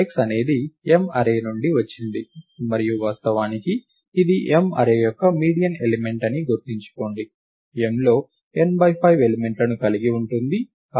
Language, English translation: Telugu, Recall that x comes from the array M right and indeed it is a median element of the array M, M has n by 5 elements in it